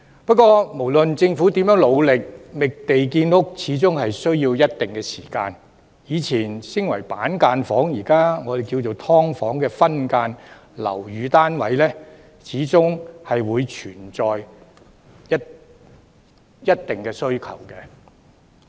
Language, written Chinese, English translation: Cantonese, 不過，無論政府如何努力，覓地建屋需要一定時間，所以，以前稱為板間房、現時叫做"劏房"的分間樓宇單位，始終存在一定的需求。, However despite the Governments endeavours it takes some time to identify land for housing construction . Therefore there still exists a considerable demand for units in sub - division of flats which were referred to as cubicle apartments in the past or subdivided units now